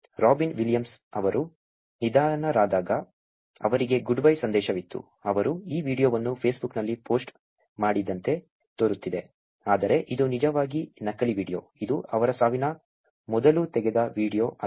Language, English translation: Kannada, Robin Williams, when he passed away, there was a good bye message for him, which looked as he actually posted this video on Facebook, but this was actually a fake video, it was not a video that was taken before his death